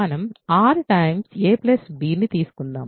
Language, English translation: Telugu, Let us take r times a plus b